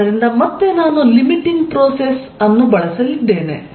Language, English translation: Kannada, So, again I am going to use a limiting process